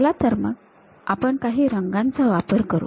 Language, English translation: Marathi, Let us use some other color